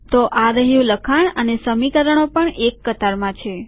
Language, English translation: Gujarati, So here is the text and you also have the equations aligned